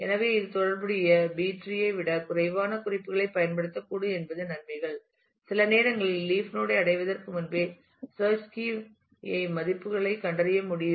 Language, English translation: Tamil, So, it is advantages it may use less notes than the corresponding B + tree sometimes it is possible to find the search key value even before reaching the leaf node